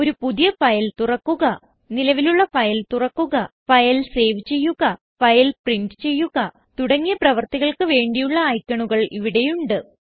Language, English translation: Malayalam, There are icons to open a New file, Open existing file, Save a file and Print a file